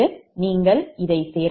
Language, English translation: Tamil, sum it up, so it will be j point three